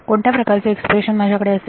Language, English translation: Marathi, what kind of expression will I have